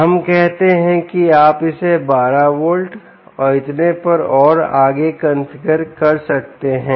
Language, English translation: Hindi, lets say, you can configure it to twelve volts, and so on and so forth